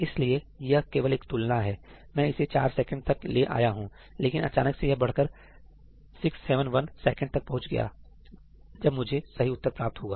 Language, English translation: Hindi, So, yeah, this is just a comparison , I thought I got it down to 4 seconds; suddenly it has gone up to 671 seconds, when I got it correct